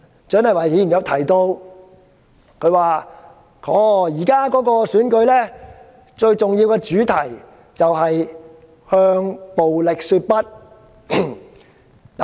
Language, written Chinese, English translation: Cantonese, 蔣麗芸議員剛才提到，現時最重要的選舉主題是"向暴力說不"。, Dr CHIANG Lai - wan just now mentioned that the most important theme for this Election is to say no to violence